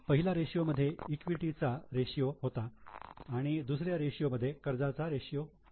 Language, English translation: Marathi, In the first ratio it was a ratio of equity, the second ratio is the equity of the ratio of debt